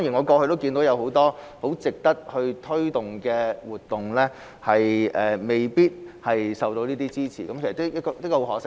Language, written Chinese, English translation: Cantonese, 過去很多值得推動的活動未必獲得支持，實在十分可惜。, In the past many activities worth promoting had not been supported which was a great pity